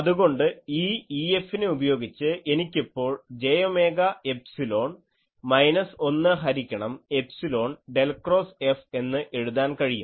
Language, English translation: Malayalam, Now, so this E F value I can write that j omega epsilon, then minus 1 by epsilon del cross F and or I can write del cross H F plus j omega F that becomes 0